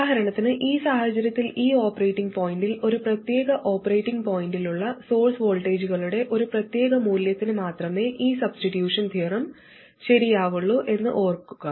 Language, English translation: Malayalam, So for instance in this case, in this operating point, remember this substitution theorem is true for a particular value of source voltages, that is at a particular operating point